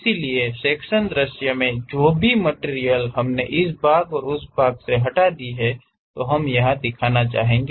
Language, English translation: Hindi, The sectional view, so whatever the material we have removed this part and that part, we would like to show